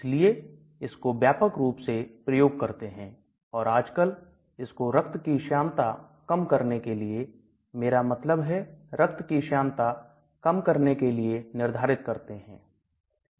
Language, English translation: Hindi, So it is very widely used and nowadays it is even being prescribed for reducing the viscosity of the drug, I mean viscosity of the blood